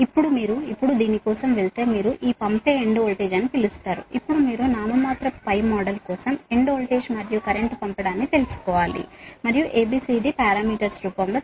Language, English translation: Telugu, r right now, if you, if you now go for this, what you call this sending end voltage, now you have to find out sending end voltage and current for the nominal pi model and in the in the form of a, b, c, d parameters